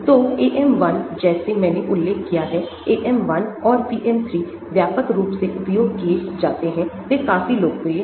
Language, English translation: Hindi, so AM 1 like I mentioned AM 1 and PM 3 are still widely used, they are quite popular